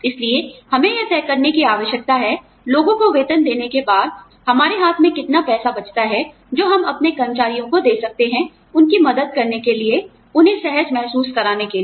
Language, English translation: Hindi, So, we need to decide, that after, we give peoples their salaries, how much money, we have in hand, that we can give to our employees, to help them, feel comfortable